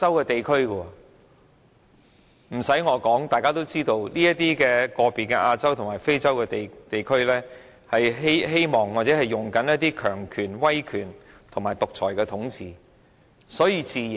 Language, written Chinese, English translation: Cantonese, 不用我說，大家都知道，該等非洲和亞洲國家均希望或正在實行強權、威權或獨裁統治。, It is not necessary for me to spell it out but we know that those African and Asian countries are hoping to practise or are practising authoritarianism totalitarianism or autocratic rule